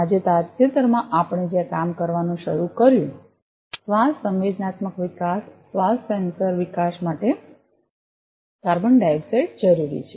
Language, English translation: Gujarati, And recently we where started working on; carbon dioxide for breathe sensing development, breathe sensor development